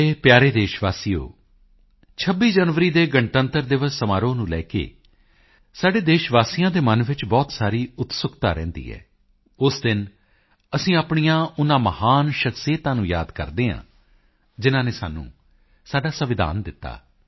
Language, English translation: Punjabi, My dear countrymen, there is a lot of curiosity regardingthe celebration of RepublicDay on 26th January, when we remember those great men who gave us our Constitution